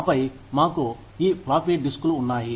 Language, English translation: Telugu, And then, we had these floppy disks